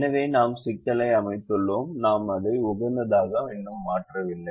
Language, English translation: Tamil, so we have just set up the problem, we have not optimized it